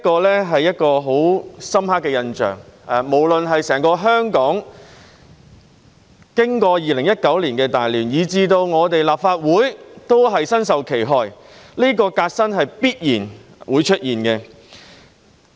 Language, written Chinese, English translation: Cantonese, 這是一個很深刻的印象，經歷2019年的大亂，無論是整個香港，以至立法會，皆身受其害，這個革新是必然會出現的。, It struck me deeply that Hong Kong as a whole and the Legislative Council alike suffered from the great turmoil of 2019 . This reform will definitely come about